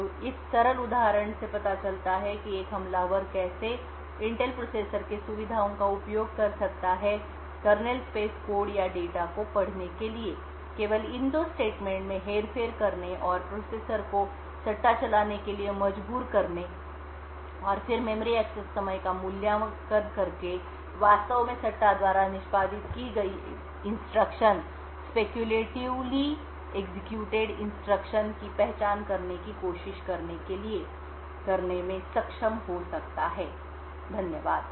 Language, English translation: Hindi, could use the features of an Intel processor to be able to read kernel space code or data just by manipulating these two statements and forcing the processor to speculatively execute and then try to identify what was actually speculatively executed by evaluating the memory access time, thank you